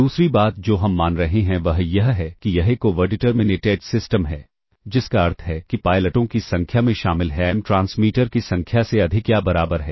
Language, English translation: Hindi, The other thing that we are assuming is that there is an over determined system which is the number of pilot symbols M [vocalized noise] is greater than or equal to the number of transfer